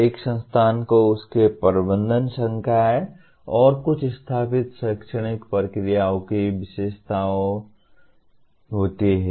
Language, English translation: Hindi, An institution is characterized by its management, faculty, and some established academic processes